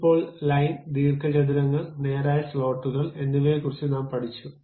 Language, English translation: Malayalam, Now, we have learned about line, rectangles, straight slots